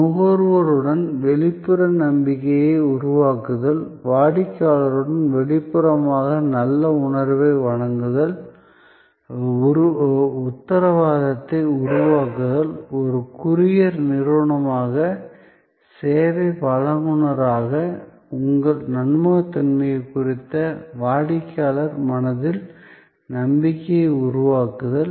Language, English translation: Tamil, So, to create trust externally with the consumer, to create good feeling externally with the customer, to create assurance, to create the trust in customer's mind about your reliability as a service provider as a courier company